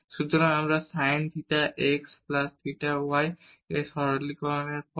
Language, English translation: Bengali, So, we have the sin theta x plus theta y and after the simplification